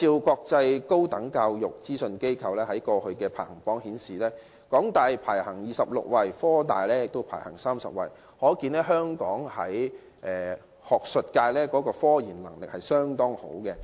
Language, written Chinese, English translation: Cantonese, 國際高等教育資訊機構去年公布的世界大學排名顯示，香港大學及香港科技大學分別位列第二十六及第三十位，可見香港學術界的科研能力相當不錯。, According to the World University Rankings released by Quacquarelli Symonds last year the University of Hong Kong and The University of Science and Technology were ranked 26 and 30 respectively . This shows that the research capacity of the Hong Kong academia is pretty good